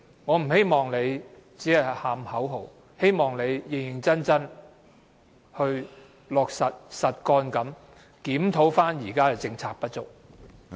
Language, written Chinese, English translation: Cantonese, 我不希望她只喊口號，希望她會認真落實，實幹地檢討現時的政策不足。, I hope that instead of simply chanting a slogan she will seriously work for it and pragmatically review the deficiencies of the current policies